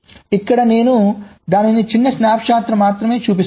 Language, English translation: Telugu, so here i am showing it only a small snap shot